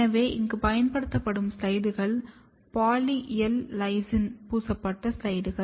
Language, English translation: Tamil, So, the slides used here are poly L lysine coated slides